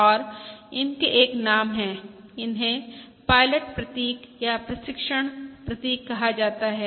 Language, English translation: Hindi, These are termed as pilots or training symbols